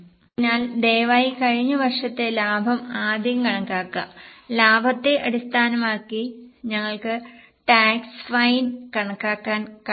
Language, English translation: Malayalam, So, please calculate last year's profit first and based on the profit we will be able to calculate the taxes